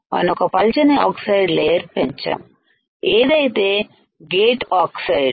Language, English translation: Telugu, So, you have to grow thin layer of oxide right which is your gate oxide